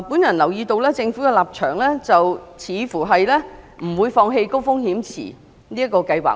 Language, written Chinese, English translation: Cantonese, 我留意到，政府似乎不會放棄高風險池這個計劃。, Based on my observation the Government appears to be unwilling to give up the HRP proposal